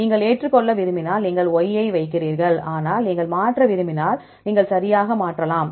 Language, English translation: Tamil, If you want to accept you put Y, but if you want to change just you can change right